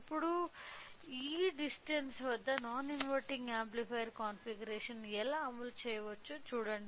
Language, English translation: Telugu, Now, see how can we implement the non inverting amplifier configuration at this distance